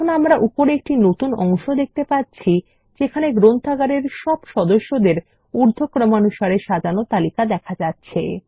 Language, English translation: Bengali, And we see a new section at the top that lists all the members of the Library in ascending order